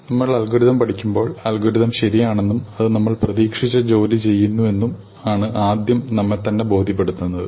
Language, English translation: Malayalam, When we study algorithms, the first thing that we need to convince our selves is that the algorithm is correct and it is doing the job that we expect it to do